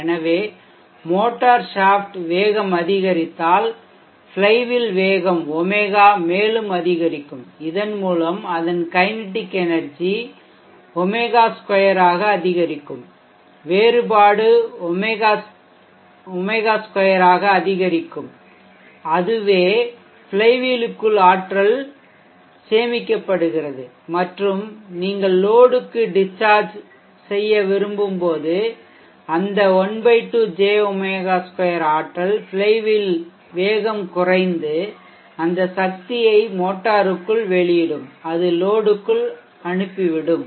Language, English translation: Tamil, 2 so if the motor shaft speed increases then the flywheel speed Omega will also increase and thereby its kinetic energy will increase by Omega squared the differential omega square and that is how the energy is stored within the flywheel and when you want to discharge into the load the ½ J